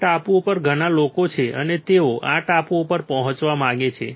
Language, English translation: Gujarati, There are lot of peoples on this island, and they want to reach to this island